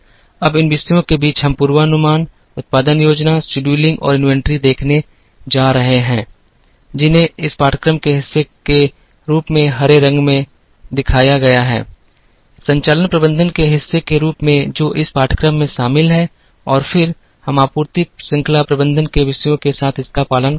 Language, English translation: Hindi, Now, among these topics, we are going to see forecasting, production planning, scheduling and inventory, the ones that are shown in green color as part of this course, as part of operations management, that is covered in this course and then, we will follow it up with topics in supply chain management